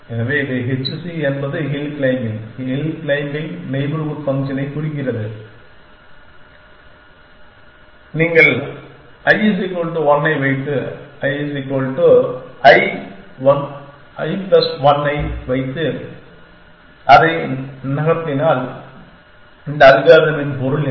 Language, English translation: Tamil, So, H c stands for hill claiming hills hill claiming with a neighborhood function and you put i is equal to 1 and in a put i is equal to i plus 1 and put it into a move, what is the meaning of this algorithm